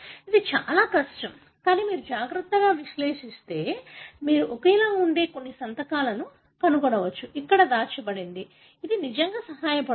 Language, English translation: Telugu, It is extremely difficult, but if you carefully analyse, you could find certain signatures that are identical, something hidden there, right, that really helps